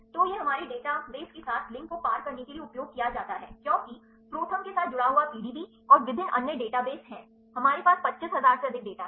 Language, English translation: Hindi, So, then it is used to cross link with our databases because, ProTherm is linked with the PDB and also various other databases, we have more than 25000 data